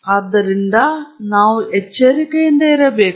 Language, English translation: Kannada, So, therefore, we need to be careful